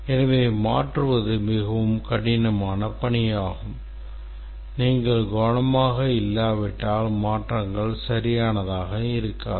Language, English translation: Tamil, So, changing it is a very tedious task and unless you're careful the changes won't be proper